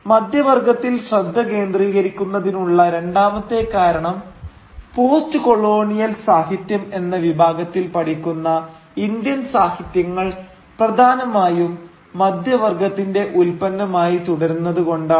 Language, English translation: Malayalam, The second reason for focusing on the middle class is because the kind of Indian literature that gets studied under the category of Postcolonial literature remains predominantly the production of the middle class